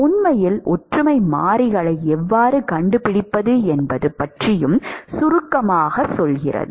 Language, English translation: Tamil, In fact, it also briefly tells you about how to find the similarity variables